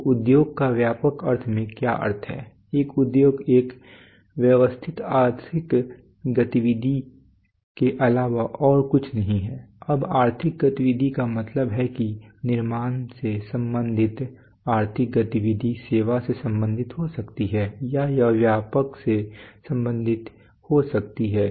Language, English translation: Hindi, So what does industry mean in a broad sense an industry is nothing but a systematic economic activity, now economic activity means what economic activity may be related to manufacture it may be related to service or it may be related to trades